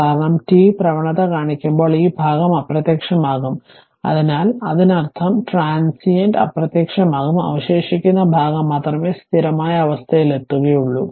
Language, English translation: Malayalam, Because, when t tends to infinity your I told you, when t tends to infinity, this part term will vanish right, so that means transient will vanish only left out portion will be that is steady state